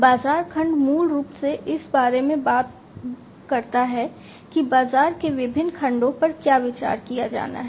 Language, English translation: Hindi, Markets segment basically talks about what are the different segments of the market that has to be considered